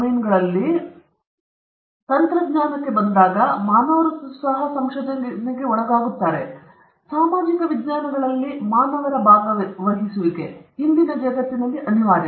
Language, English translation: Kannada, And when it comes to medicine and biotechnology, human beings are also involved in research; and even in social sciences human beings the participation of human beings are unavoidable in todayÕs world